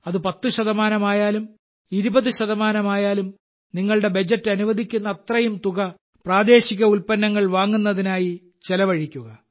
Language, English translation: Malayalam, Be it ten percent, twenty percent, as much as your budget allows, you should spend it on local and spend it only there